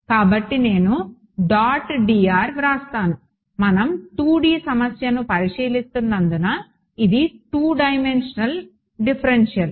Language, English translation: Telugu, So, I have written dot d r since we are considering a 2D problem this is a two dimensional differential